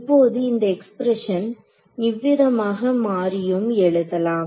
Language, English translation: Tamil, Now this expression can also be rewritten in the following way